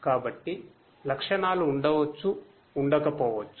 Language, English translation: Telugu, So, features may be present, may not be present